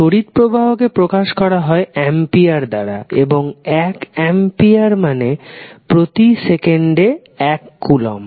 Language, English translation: Bengali, Current is defined in the form of amperes and 1 ampere is defined as 1 coulomb per second